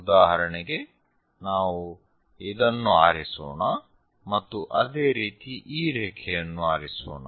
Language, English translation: Kannada, For example, let us pick this one and similarly pick this line